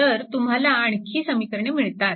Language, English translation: Marathi, So, this is one equation